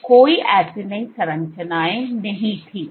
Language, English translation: Hindi, So, there was no acini structures